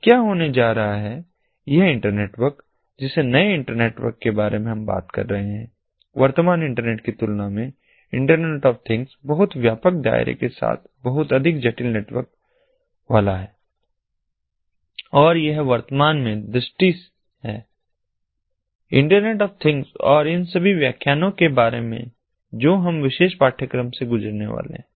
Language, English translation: Hindi, and so what is going to happen is this internetwork, the new internetwork that we are talking about, the internet of things is going to be a very complex network with much wider scope than the current internet and with many more complexities, and this is currently the vision of internet of things and all these lectures that we are going to go through in this particular course, all the other lectures that we are going to go through